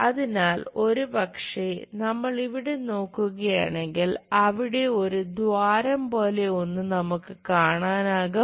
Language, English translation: Malayalam, So, possibly if we are looking there here, there might be something like a hole we might be going to see it just a hole